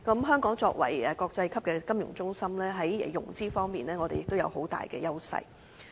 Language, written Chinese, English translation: Cantonese, 香港作為國際級的金融中心，在融資方面，我們亦有很大優勢。, As a financial centre of international excellence Hong Kong also has a strong advantage in terms of financing